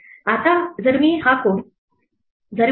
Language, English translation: Marathi, Now if I run this code as python 3